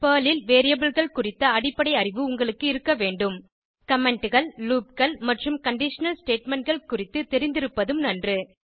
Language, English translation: Tamil, You should have basic knowledge of Variables in Perl Knowledge of comments, loops and conditional statements will be an added advantage